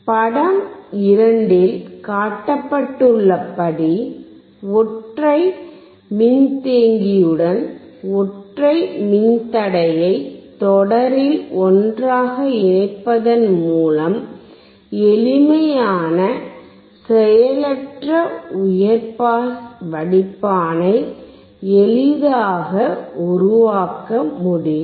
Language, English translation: Tamil, A simple passive high pass filter can be easily made by connecting together in series a single resistor with a single capacitor as shown in figure 2